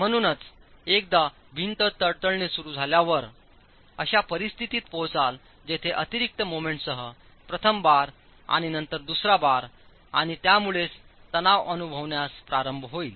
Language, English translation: Marathi, So once the wall starts cracking you reach a situation where with additional moments first bar and then the second bar and so on start experiencing tension